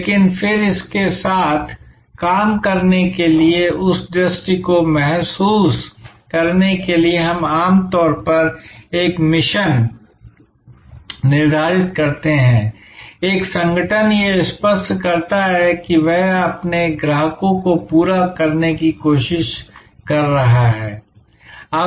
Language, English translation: Hindi, But, then to work with it, to realize that vision, we usually set a mission, an organizations clear view of what it is trying to accomplish for its customers